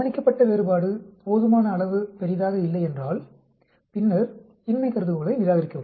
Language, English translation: Tamil, The observed difference is inadequately large then reject the null hypothesis